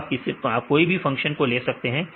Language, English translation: Hindi, So, we can you have to take the function